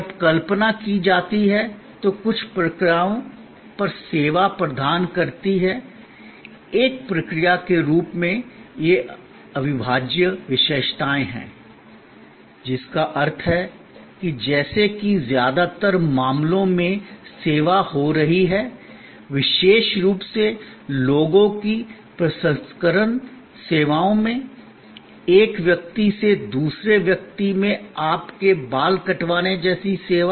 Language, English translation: Hindi, Few points on processes service, when conceived as a process has this inseparability characteristics, which means that as the service is occurring in most cases, particularly in people processing services, service coming from a person to another person like your haircut